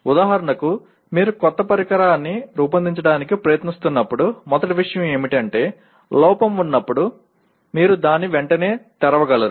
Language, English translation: Telugu, For example when you are trying to design a new equipment, first thing is you should be able to readily open that when there is a fault